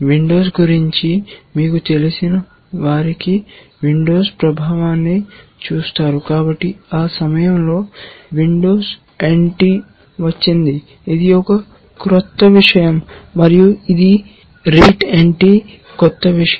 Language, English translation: Telugu, For those of you who are familiar with windows will see the influence of windows, so just around that time windows NT came, it was a new thing, and so, this rete NT was new thing